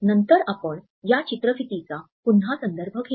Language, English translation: Marathi, Later on, we would refer to this slide again